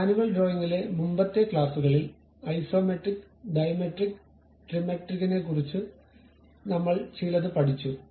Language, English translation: Malayalam, In the earlier classes at manual drawing we have learned something about Isometric Dimetric Trimetric